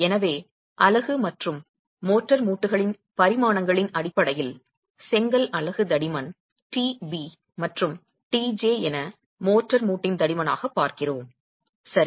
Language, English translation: Tamil, So, in terms of the dimensions of the unit and the motor joint, we are looking at the thickness of the brick unit as TB, the TB here and TJ as the thickness of the motor joint